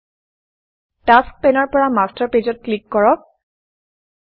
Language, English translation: Assamese, From the Tasks pane, click on Master Pages